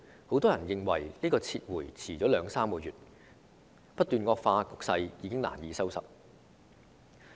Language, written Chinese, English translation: Cantonese, 很多人認為政府遲了兩三個月才撤回《條例草案》，令局勢不斷惡化，已經難以收拾。, Many people think that the Government was late for two or three months in withdrawing the Bill leading to continual deterioration of the situation which is now difficult to wrap up